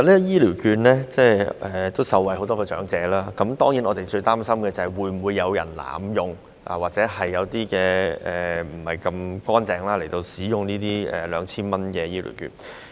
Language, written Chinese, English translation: Cantonese, 醫療券固然讓很多長者受惠，但我們最擔心的是會否有人濫用或不正當使用 2,000 元的長者醫療券。, While the vouchers have benefited a lot of elders our gravest concern is whether the voucher amount of 2,000 will be abused or improperly used